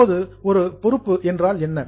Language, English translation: Tamil, Now, what is meant by a liability